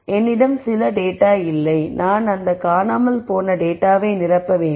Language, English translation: Tamil, I have some data which is missing I simply need to ll in these missing data records